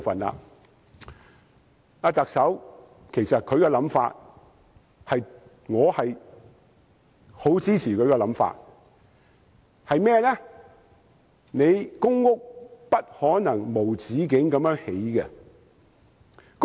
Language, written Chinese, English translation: Cantonese, 我其實十分支持特首的想法，便是不可能無止境地興建公屋。, Actually I fully support the Chief Executives view that the Government cannot build public housing indefinitely